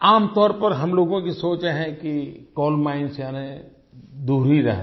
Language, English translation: Hindi, Generally we don't think of coal mines as places to be visited